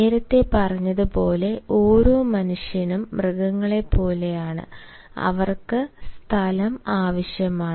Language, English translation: Malayalam, as said earlier, every human being, even like animals, they, require space